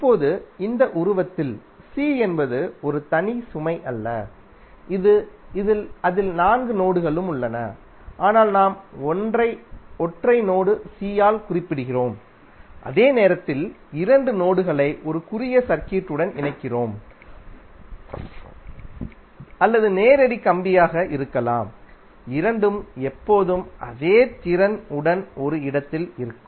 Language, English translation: Tamil, Now in this figure c is not a single load it contains all four nodes which are there in the circuit, but we represented by a single node c while connect two nodes whit a short circuit or may be the direct wire both will always be at a same potential